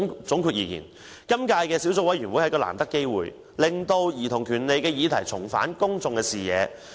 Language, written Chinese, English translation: Cantonese, 總的來說，今屆小組委員會是難得機會，讓兒童權利相關議題重返公眾視野。, In short the Subcommittee did provide a precious opportunity for issues relating to childrens rights to regain public attention